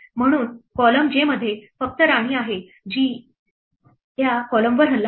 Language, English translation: Marathi, Therefore, there is only the queen in column j which attacks that column